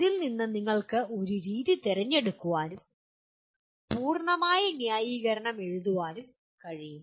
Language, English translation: Malayalam, Out of that you can select one method and giving full justification